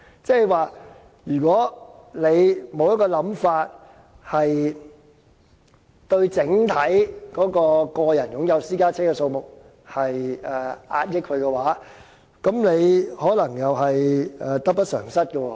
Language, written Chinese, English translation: Cantonese, 即是說，如果沒有一個想法，遏抑整體個人擁有私家車的數目，便可能得不償失。, Perhaps the significant decrease is due to the small population of the country . In other words if we do not explore ways to curb the overall number of private cars we may lose more than we gain